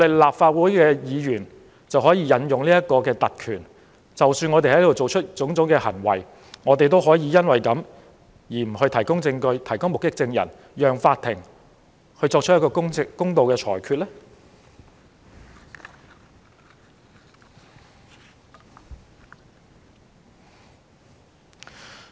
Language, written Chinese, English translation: Cantonese, 立法會議員是否可以行使特權，以致無須就我們在議會的種種行為提供證據或目擊證人，令法庭無法作出公道的裁決？, Can Legislative Council Members exercise their privileges so that they do not need to give evidence or act as witnesses in respect of the incidents that happened in the Council making it impossible for the court to give fair rulings?